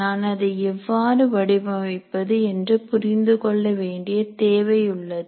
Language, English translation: Tamil, So I am trying to design and I need to understand how to go about designing that